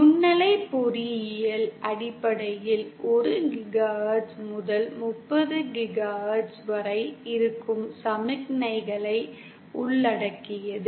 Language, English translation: Tamil, Microwave engineering basically involves signals which lie between 1 GHz to 30 GHz